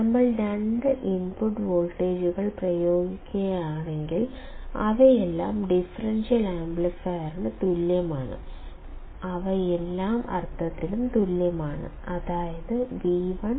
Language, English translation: Malayalam, If we apply two input voltages, which are all in equal respects to the differential amplifier; which are equal in all respects, then V 1 equals to V 2 So, this will give us; Vo equals Ad into V1 minus V 2